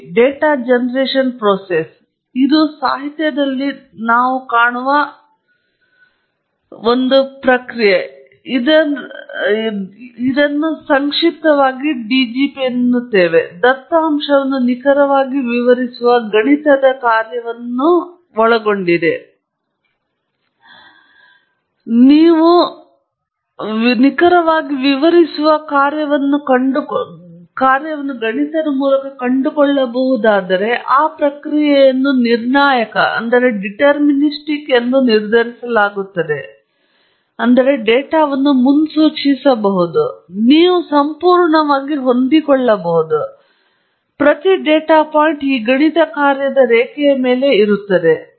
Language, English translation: Kannada, The DGP as we shall use as an abbreviation that you will find even in literature is set to be deterministic, if you can find a mathematical function that can accurately explain the data; that is, it can predict the data, you can fit in perfectly, every data point lies on the curve of this mathematical function